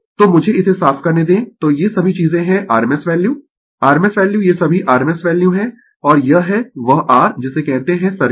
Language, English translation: Hindi, So, let me clear it so all these things are rms value rms value these are all rms value and this is that your what you call circuit